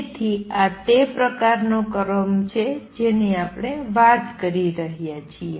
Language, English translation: Gujarati, So, that is the kind of orders we talking about